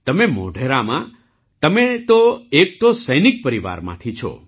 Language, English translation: Gujarati, You are in Modhera…, you are from a military family